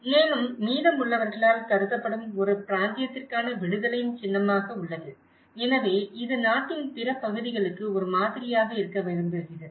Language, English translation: Tamil, Also, a symbol of emancipation for a region considered by the rest, so it want to be a model for the rest of the country